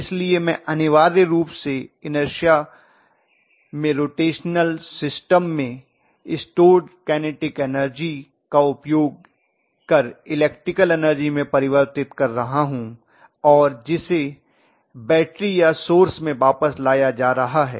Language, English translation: Hindi, So I am essentially using the kinetic energy stored in my inertia, in my rotational system that is being converted into electrical energy and that is being fed back to the battery or the source in whatever way it is